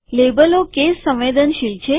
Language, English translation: Gujarati, The labels are case sensitive